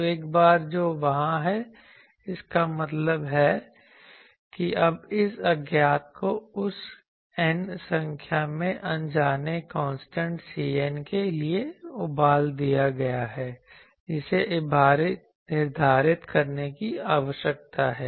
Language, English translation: Hindi, So, once that is there; that means, now this unknown has been boiled down to that I have N number of capital N number of unknown constants c n which needs to be determined